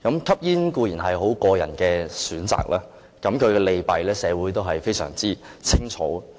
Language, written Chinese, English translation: Cantonese, 吸煙固然是個人選擇，其利弊社會都非常清楚。, Smoking is certainly a personal choice and its merits and demerits are pretty obvious